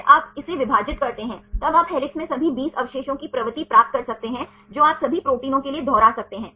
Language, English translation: Hindi, Then you divide this by this then you can get the propensity of all the 20 residues in helix you can repeat for all the proteins